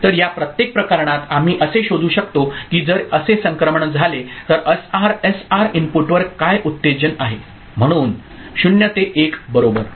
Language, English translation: Marathi, So, in each of this cases we can figure out if such transition does take place then what has been the excitation at the SR input, so for 0 to 1 right